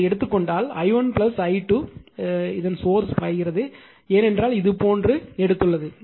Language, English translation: Tamil, So, if you take like this then i 1 plus i 2 flowing through this right, because you have taken like this